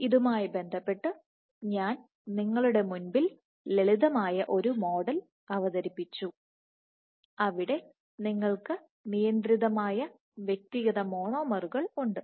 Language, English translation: Malayalam, So, in that regard I had introduced the simple model where you have individual monomers, which is constrained